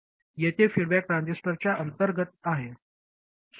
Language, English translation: Marathi, Here the feedback is internal to the transistor